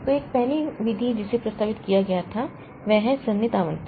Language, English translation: Hindi, So, one of the first method that was proposed so that is the contiguous allocation